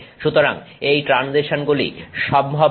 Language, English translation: Bengali, So, that this transition becomes possible